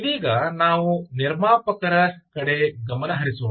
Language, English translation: Kannada, let us focus right now on the producer side